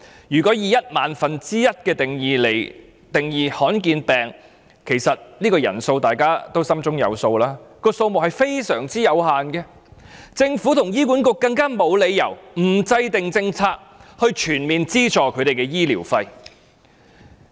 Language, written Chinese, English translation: Cantonese, 如果以一萬分之一的香港人口來定義罕見疾病，其實大家心中有數，這個人數非常有限，政府和醫管局沒理由不制訂政策，全面資助他們的醫療費。, If the ratio of 1 in 10 000 individuals in Hong Kong is adopted we should more or less know that the number of rare disease patients is very limited . The Government and HA have no reasons not to formulate a policy to comprehensively subsidize their medical fees